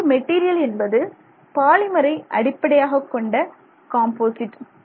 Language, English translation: Tamil, So, a composite material in this case, let's say a polymer based composite